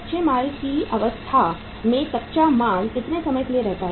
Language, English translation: Hindi, Raw material remains in the raw material stage is for how period of time